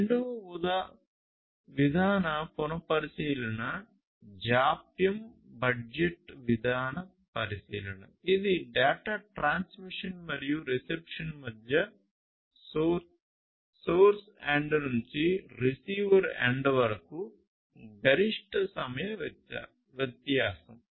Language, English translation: Telugu, The second policy consideration is the latent latency budget policy consideration; which is the maximum time difference between the data transmission and reception from source end to the receiver end